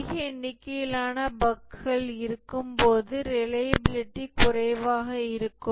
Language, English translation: Tamil, When there are large number of bugs, the reliability is low